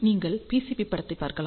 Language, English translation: Tamil, So, you can see the PCB snapshot